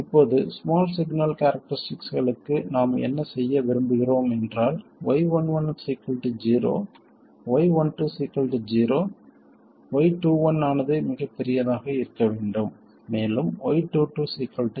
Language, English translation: Tamil, Now what did we want for the small signal characteristics, Y11 equal to 0, Y12 equal to 0, Y21 to be very large, and Y222 to be also 0